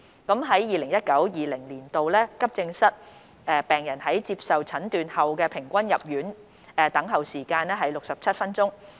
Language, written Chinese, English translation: Cantonese, 在 2019-2020 年度，急症室病人在接受診斷後的平均入院等候時間為約67分鐘。, In 2019 - 2020 the average waiting time for admission of AE patients after diagnoses was about 67 minutes